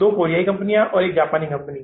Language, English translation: Hindi, Two Korean companies and one Japanese company